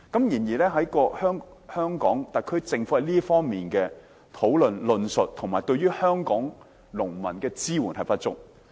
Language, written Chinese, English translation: Cantonese, 然而，特區政府在這方面的討論、論述及對於香港農民的支援均不足。, However in this regard the SAR Government has not had sufficient discussion and deliberation and its support for farmers in Hong Kong is insufficient